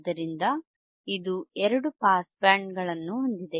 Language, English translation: Kannada, So, it has two pass bands correct